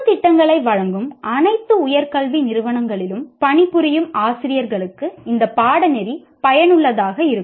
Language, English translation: Tamil, This course will be useful to working teachers in all higher education institutions offering general programs